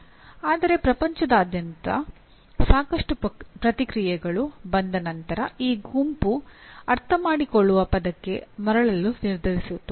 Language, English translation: Kannada, But after lot of feedback coming from all over the world, the group decided to come back to the word understand